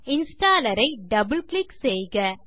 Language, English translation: Tamil, Left Double click the installer